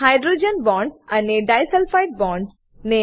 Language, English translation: Gujarati, * Highlight hydrogen bonds and disulfide bonds